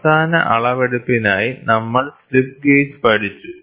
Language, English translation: Malayalam, We studied the slip gauge for end measurement